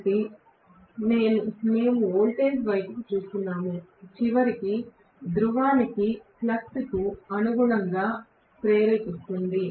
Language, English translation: Telugu, So, we are looking at the voltage, ultimately induce which corresponds to flux per pole, right